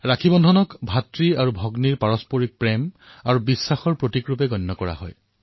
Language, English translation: Assamese, The festival of Rakshabandhan symbolizes the bond of love & trust between a brother & a sister